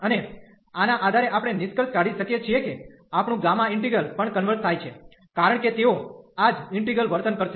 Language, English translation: Gujarati, And based on this we can conclude that our gamma integral will also converge, because they will behave the same this integral